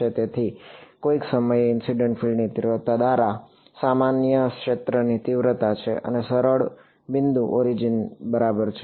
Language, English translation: Gujarati, So, this is the far field intensity normalized by the incident field intensity at some point and the easiest point is the origin ok